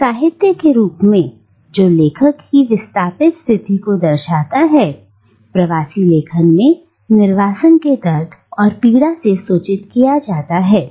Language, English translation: Hindi, Now, as a literature that reflects the displaced condition of its author, diasporic writing is expectedly informed by the pangs and pains of exile